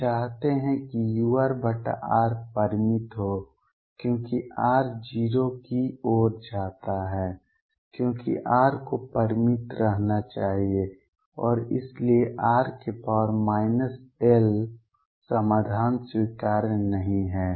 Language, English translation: Hindi, We want u r over r to be finite as r tends to 0 because r should remain finite, and therefore r raise to minus l solution is not acceptable